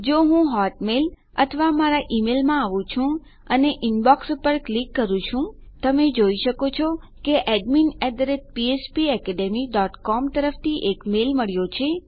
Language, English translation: Gujarati, If I come into my hotmail or my email and click on my INBOX, you can see that weve now got a mail from admin @ phpacademy dot com